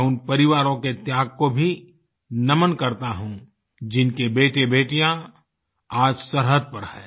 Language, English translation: Hindi, I also salute the sacrifice of those families, whose sons and daughters are on the border today